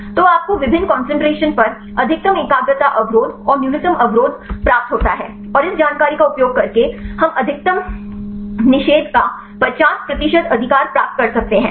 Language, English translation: Hindi, So, you get the maximum concentration inhibition and the minimal inhibition, at various concentrations and using this information we can a get the 50 percent of maximum inhibition right